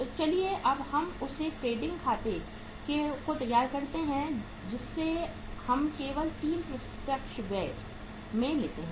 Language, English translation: Hindi, So let us prepare the trading account now which we take only the 3 direct expenses